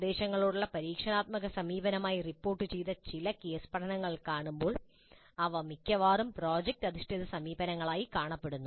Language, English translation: Malayalam, When you see some of the case studies reported as experiential approach to instruction, they almost look like product based approaches